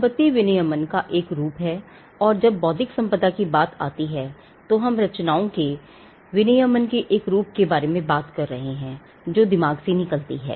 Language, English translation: Hindi, Property is a form of regulation, and when it comes to intellectual property, we are talking about a form of regulation of creations that come out of the mind